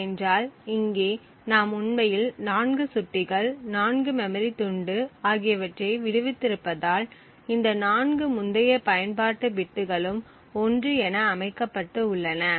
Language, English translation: Tamil, where all the in use bits were set to 1, here because we have actually freed 4 pointers, 4 chunks of memory we have 4 of these previous in use bits set to 1